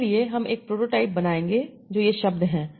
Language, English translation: Hindi, So, for that I will build a prototype that is, okay, what are these words